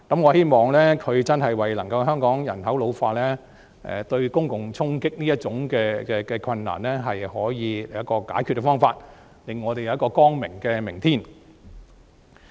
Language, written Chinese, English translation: Cantonese, 我希望他能夠就香港人口老化對公共財政帶來衝擊這個問題，尋求解決方法，令我們有一個光明的明天。, I hope that he can come up with a solution to the impact of ageing population on Hong Kongs public finance so that we can have a bright future